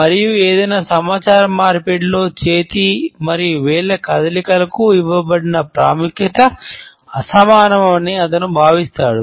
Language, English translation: Telugu, And he feels that the significance, which is given to hand and fingers movements in any communication is rather disproportionate